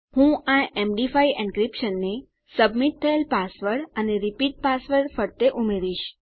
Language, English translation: Gujarati, I will add this MD5 encryption around my submitted password and repeat password